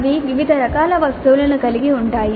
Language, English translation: Telugu, They can contain different types of items